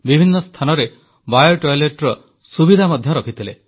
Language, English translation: Odia, Biotoilets were also provided at many places